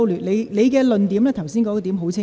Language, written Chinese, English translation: Cantonese, 你剛才的論點已很清楚。, You have already made your points very clear just now